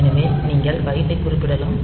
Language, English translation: Tamil, So, you can specify the byte